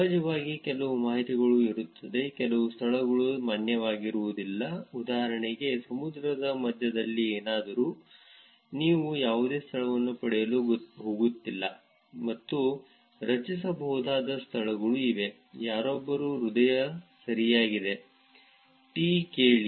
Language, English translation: Kannada, Of course, there is going to be some information, some locations which are not going to be valid right for example, something in the middle of sea, you are not going to get any location, and there are locations that may be generated which is somebody’s heart right, h e a r t